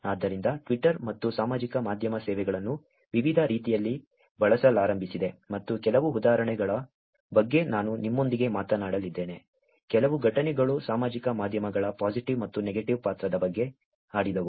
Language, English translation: Kannada, Therefore, Twitter and social media services have started being used in many different ways and I am going to talk to you about some examples, some incidences were social medias’ played about positive and the negative role